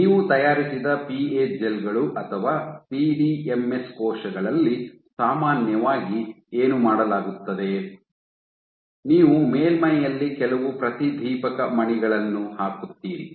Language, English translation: Kannada, What is typically done is in the PA gels or PDMS cells that you fabricate, you put some fluorescent beads on the surface